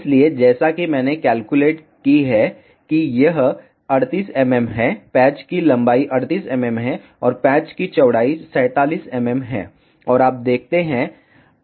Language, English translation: Hindi, So, as I calculated this is 38 mm, the length of the patch is 38 mm, and width of the patch is 47 mm and to see